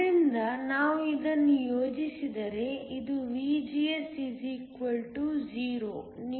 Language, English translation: Kannada, So, We were to plot this, so this is for VGS = 0